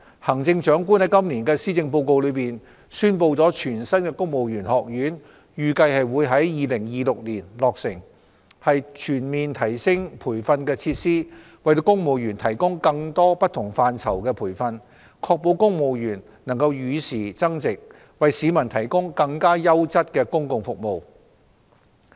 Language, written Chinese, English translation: Cantonese, 行政長官在今年的施政報告中宣布全新的公務員學院預計會於2026年落成，以全面提升培訓設施，為公務員提供更多不同範疇的培訓，確保公務員能與時增值，為市民提供更優質的公共服務。, 3 Regarding the civil service college the Chief Executive announced in her Policy Address this year that a new civil service college is expected to be completed in 2026 . The new college with fully upgraded training facilities will provide enhanced training for civil servants in various areas so as to ensure that our civil servants keep improving with the latest changes and providing better quality services to the public